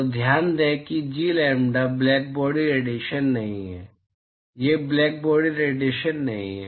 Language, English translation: Hindi, So, note that G lambda i is not blackbody radiation, it is not a blackbody radiation